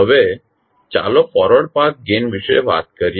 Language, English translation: Gujarati, Now, let us talk about Forward Path Gain